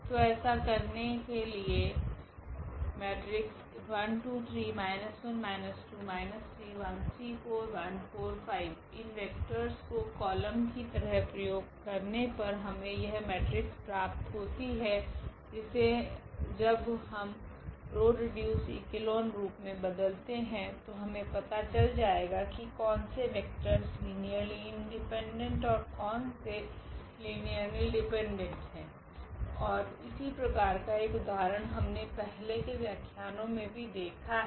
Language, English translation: Hindi, Having this vector here whose columns are the given vectors we can now reduce it to this row reduced echelon form and from that row reduced echelon form we can find out that which vectors are linearly independent and which vectors are linearly dependent and we have seen one such example before in previous lectures